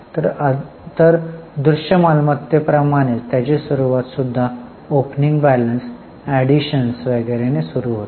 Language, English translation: Marathi, So, just like for tangible assets, it starts with opening balances, additions and so on